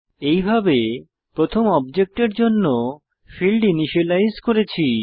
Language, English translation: Bengali, Thus we have initialized the fields for the first object